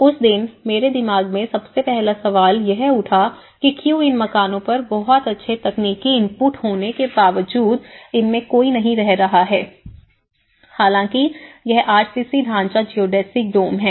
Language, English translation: Hindi, The first question in my mind rose on that day, why these houses were not occupied despite of having a very good technical input but is RCC structures Geodesic Domes